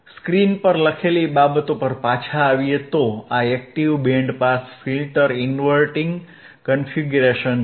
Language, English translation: Gujarati, Ah so, cComing back to the screen, this is the active band pass filter inverting configuration, right